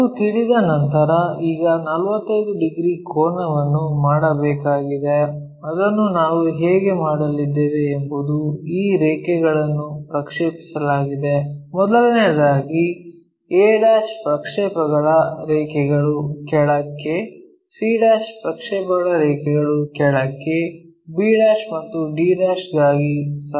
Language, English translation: Kannada, Once that is known, now we have to make 45 degrees angle that how we are going to make it is project these lines first of all a all the way to a down, c all the way to c, b and d